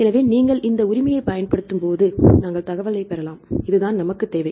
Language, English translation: Tamil, So, when you apply this right, then we can get the information; this is what we need